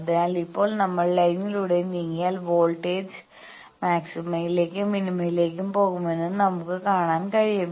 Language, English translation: Malayalam, So, now, we can see that there will be voltage goes to maxima and minima if we move along the line